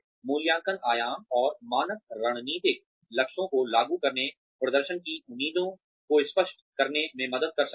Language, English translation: Hindi, Appraisal dimensions and standards can help to implement, strategic goals and clarify performance expectations